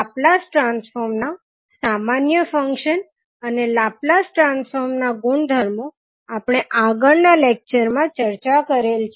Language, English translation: Gujarati, Now, properties of the Laplace transform and the Laplace transform of basic common functions were discussed in the previous classes